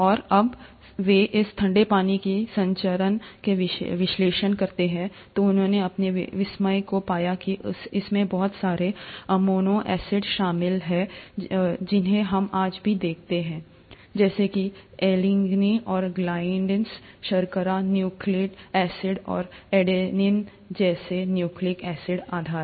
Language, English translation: Hindi, And when they analyze the composition of this cooled water, they found to their amazement that it consisted of a lot of amino acids that we even see today, such as alinine and glycine, sugars, nucleic acid, and nucleic acid bases like adenine and lipids